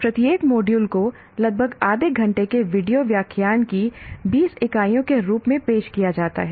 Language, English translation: Hindi, Each module is offered as 20 units of about half hour video lectures